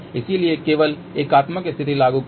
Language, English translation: Hindi, So, let just apply only unitary condition